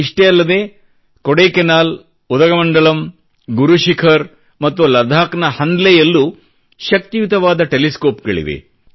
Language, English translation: Kannada, Not just that, in Kodaikkaanal, Udagamandala, Guru Shikhar and Hanle Ladakh as well, powerful telescopes are located